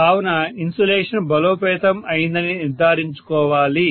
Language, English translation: Telugu, So I have to make sure that the insulation is strengthened